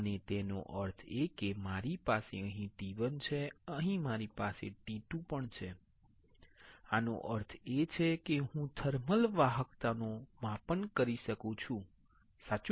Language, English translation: Gujarati, And; that means, that I have T 1 here, I have T 2 here; that means, I can measure the thermal conductivity, correct